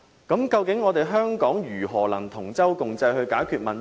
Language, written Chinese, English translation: Cantonese, 究竟香港如何能夠同舟共濟地解決問題？, How can we make concerted efforts to resolve problems in Hong Kong?